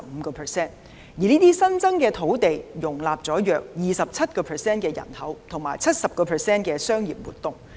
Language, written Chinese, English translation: Cantonese, 這些新增的土地，容納了約 27% 人口及 70% 商業活動。, Such reclaimed land accommodates about 27 % of Hong Kongs total population and 70 % of its commercial activities